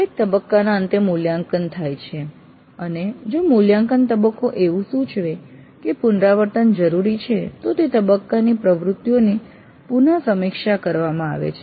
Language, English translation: Gujarati, After every phase it goes through an evaluate and if the evaluate phase indicates that a revision is necessary, then the activities in that phase are revisited